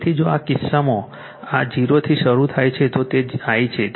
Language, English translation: Gujarati, So, if in this case this is starting from 0 so, it is your I right